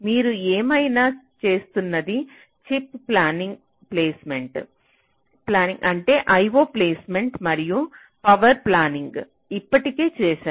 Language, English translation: Telugu, so, whatever things you are doing, well, chip planning means you have already done i o placement, you have already done power planning